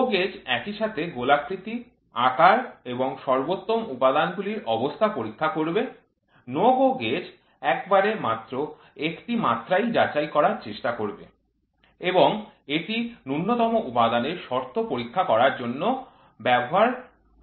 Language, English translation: Bengali, GO gauge will simultaneously check for roundness, size as well as maximum material condition; NO GO gauge will try to check only one dimension at a time and it will used for checking the minimum material condition